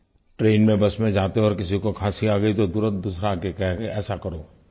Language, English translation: Hindi, While travelling in the train or the bus if someone coughs, the next person immediately advises a cure